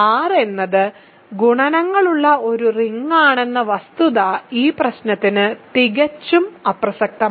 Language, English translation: Malayalam, The fact that R is a ring which has multiplication is completely irrelevant for this problem